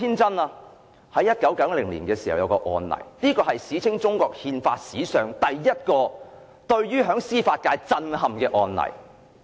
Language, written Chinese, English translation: Cantonese, 在1990年發生一宗案例，是中國憲法史上首宗震憾司法界的案例。, There was a case in 1990 and it was the first case which shook the judicial sector in the history of Chinas constitutional development